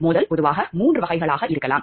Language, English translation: Tamil, Conflict of interest can be of generally three types